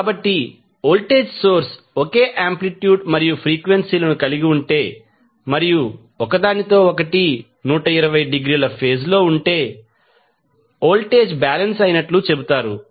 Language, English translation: Telugu, So, if the voltage source have the same amplitude and frequency and are out of phase with each other by 20, 20 degree, the voltage are said to be balanced